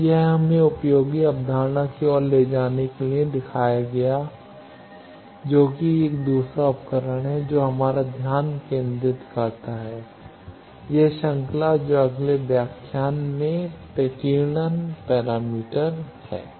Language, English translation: Hindi, So, this will be shown to lead us to useful concept, which is a second tool which is focus of our, this series that scattering parameter in the next lecture